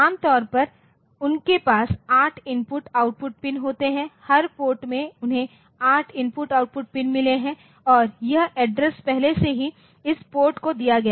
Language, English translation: Hindi, Generally they have 8 input output pins, individual ports they have got 8 input output pin and this addresses are already assigned to this port